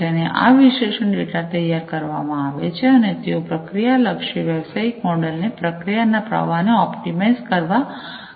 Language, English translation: Gujarati, And this analyze data are prepared and they help the companies with a process oriented business model, to optimize process flow